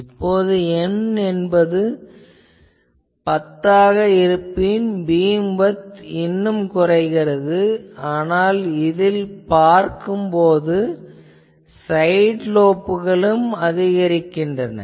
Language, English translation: Tamil, If I go to N is equal to 10, beam width is reducing, but also you see that number of side lobes are also increasing and this